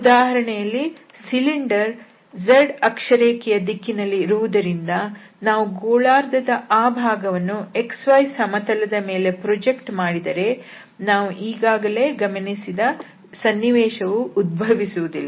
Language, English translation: Kannada, So, for instance in this case, since the cylinder is along the z axis, and if we project that portion of this hemisphere on the xy plane, so, there will never be the situation which we will just observe now